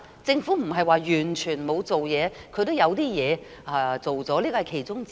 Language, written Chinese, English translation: Cantonese, 政府不是完全沒有做事，它也做了一點事，這是其中之一。, The Government has not sat back and done nothing at all . It has done something and this is one of them